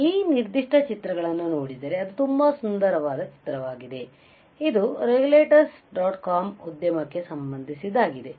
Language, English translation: Kannada, If you see this particular images which is very nice image, it was from enterprises in the regulators dot com